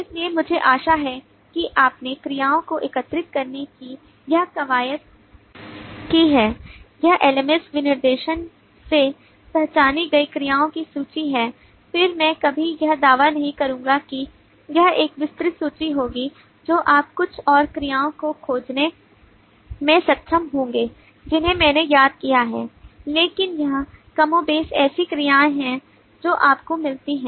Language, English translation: Hindi, so i hope you have done this exercise of collecting the verbs this is the list of the verbs identified from the lms specification again i would never claim this to be an exhaustive list you may be able to find some more verbs that i have missed out, but this is more or less the kind of verb that you get